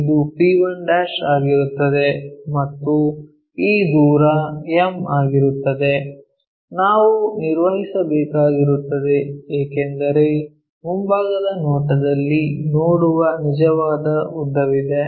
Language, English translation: Kannada, So, it will be p1' and this distance m, we have to maintain because there is a true length what we will see in the frontal view